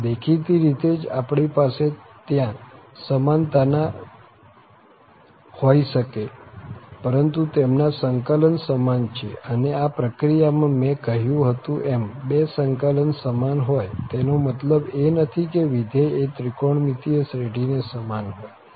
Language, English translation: Gujarati, So, obviously we cannot just have equality there but their integrals are equal and in the process, as I have said that the two integrals are equal which does not imply that the function is equal to the trigonometric series